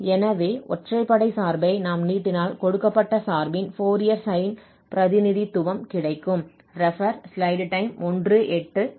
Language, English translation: Tamil, If we extend to have this odd function then we have the Fourier sine representation of the given function